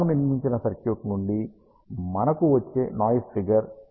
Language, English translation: Telugu, The noise figure that we get from the circuit that we built is around 7 dB